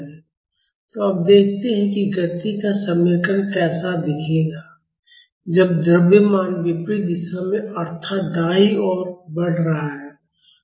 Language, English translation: Hindi, So, now let us see how the equation of motion will look like, when the mass is moving in the opposite direction that is towards right